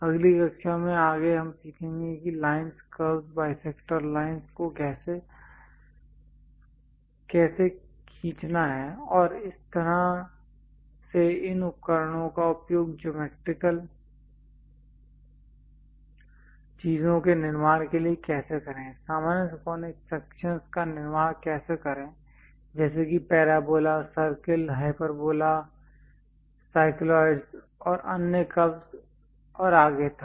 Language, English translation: Hindi, In the next class onwards we will learn about how to draw lines curves, bisector lines and so on how to utilize these instruments to construct geometrical things, how to construct common conic sections like parabola, circle, hyperbola and other curves like cycloids and so on